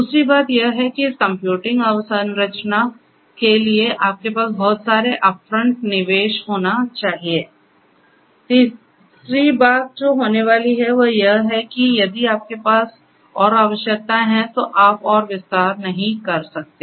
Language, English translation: Hindi, Second thing that will happen is you have to have lot of upfront investment for this computing infrastructure, as a third thing that is going to happen is that if you have further requirements you cannot expand further